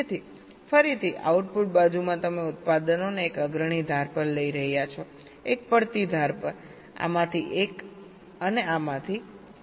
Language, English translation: Gujarati, so again in the output side you are taking out the products, one at the leading age, one at the falling age, one from this, one from this